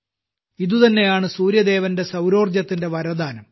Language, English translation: Malayalam, This is the very boon of Sun God's solar energy